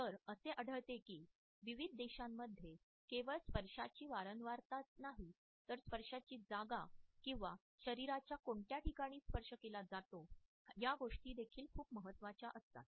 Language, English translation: Marathi, So, we find that in various countries it is not only the frequency of touch, but also the position of touch, the point of the body where a human touch has been exercised also matters a lot